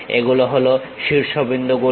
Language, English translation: Bengali, These are the vertices